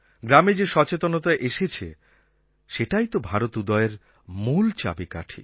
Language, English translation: Bengali, The awareness that has come about in villages guarantees a new progress for India